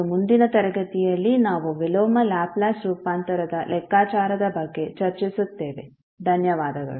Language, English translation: Kannada, And the next class we will discuss about the calculation of inverse Laplace transform thank you